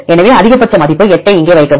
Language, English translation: Tamil, So, put the maximum value of 8 here